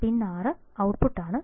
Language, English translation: Malayalam, Pin 6 is the output